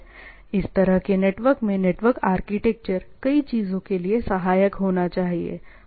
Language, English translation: Hindi, The network as such the architecture of the network should be supportive for the things, right